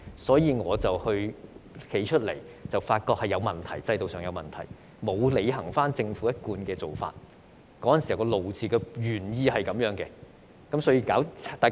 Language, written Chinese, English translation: Cantonese, 所以，當時我站出來表示制度上出現問題，政府沒有履行一貫的做法，當時的"怒"就是因為這樣。, I believed that there was a defect in the mechanism so I stepped forward and pointed out that there was a problem with the system and the Government had not followed the established practice and hence my anger